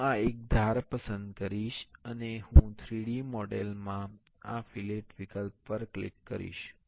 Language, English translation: Gujarati, I will select this one edge and I will click on this fillet option in the 3D model